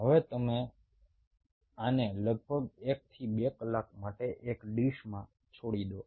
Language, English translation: Gujarati, now you leave this in a dish for approximately one to two, two hours